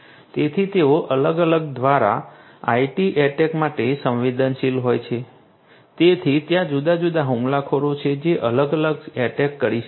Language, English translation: Gujarati, So, they are prone to IT attacks by different so there are different attackers who could be performing different attacks